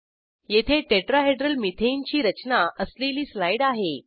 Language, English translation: Marathi, Here is a slide for the Tetrahedral Methane structure